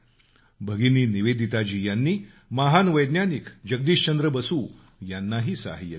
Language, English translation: Marathi, Bhagini Nivedita ji also helped the great scientist Jagdish Chandra Basu